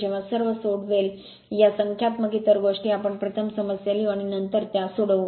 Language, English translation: Marathi, Whenever you will solve all these numerical another things we will first write down the problem and then you solve it right